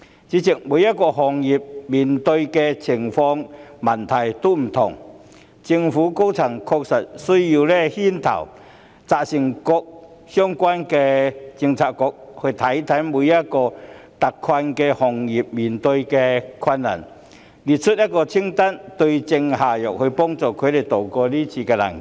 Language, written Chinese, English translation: Cantonese, 主席，每個行業所面對的情況及問題各異，因此確實需要政府高層牽頭，責成各相關政策局檢視每一個特困行業正面對的困難，列出一份清單，對症下藥，幫助他們渡過是次難關。, President the situation and problems faced by individual industries vary . Therefore it is really necessary for senior government officials to take the lead and instruct the relevant Policy Bureaux to examine the difficulties faced by individual hard - hit industries and draw up a list so as to prescribe the right remedy to help them tide over this difficult period